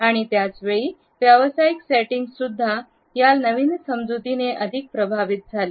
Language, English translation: Marathi, And, at the same time the professional settings were also influenced by this enriched understanding